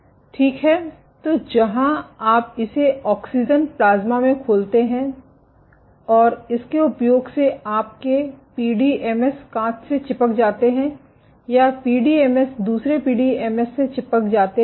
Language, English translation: Hindi, So, where you expose this to oxygen plasma and using this you can have PDMS stuck to glass or PDMS sticking to other PDMS